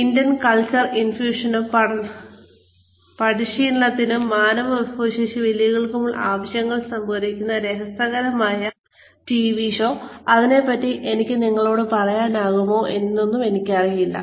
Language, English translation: Malayalam, So, an interesting TV show, that sort of sums up, a lot of intercultural infusions, and needs for training and human resources challenges is